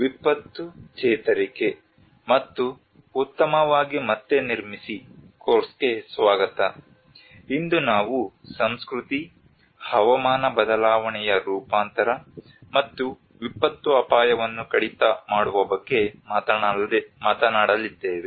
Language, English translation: Kannada, Welcome to the course disaster recovery and build back better, today we are going to talk about culture, climate change adaptation and disaster risk reduction